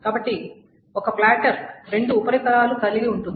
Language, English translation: Telugu, So platter has two surfaces